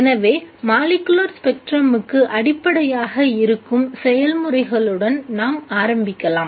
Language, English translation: Tamil, So let us start with the processes which are fundamental to molecular spectrum